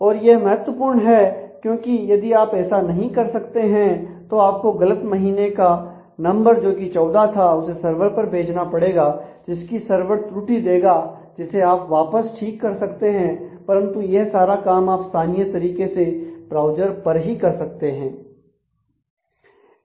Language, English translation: Hindi, And it is it is very important because if you could not do that then all you required is you would have send that faulty month numbered 14 to the to the backend server and got an error and you would have come back and then have to correct it, but you can do this locally at the browser itself